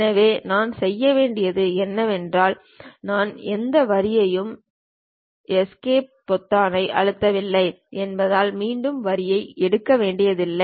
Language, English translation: Tamil, So, what I have to do is I do not have to really pick again line because I did not press any Enter or Escape button